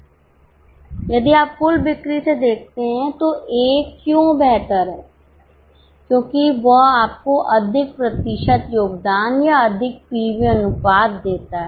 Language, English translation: Hindi, If you see by total sale wise A is far better because it gives you more percentage contribution or more PV ratio